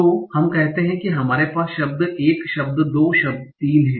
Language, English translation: Hindi, So let us say that we have word one, word two, word three